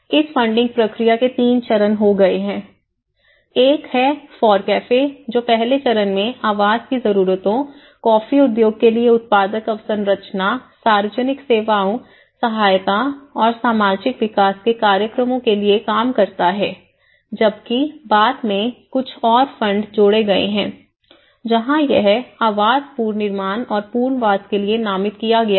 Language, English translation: Hindi, Now, they have been 3 phases of this funding process, one is the FORECAFE 1 which has met the first stage met the housing needs, productive infrastructures for the coffee industry, public services and programmes of assistance and social development whereas, again therefore later on some more fund has been added this is where it was designated for housing reconstruction and relocation